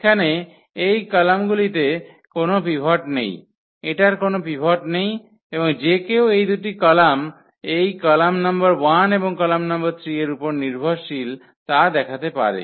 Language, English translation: Bengali, These column here does not have a pivot this does not have a pivot and one can show that those two columns depend on this column number 1 and column number 3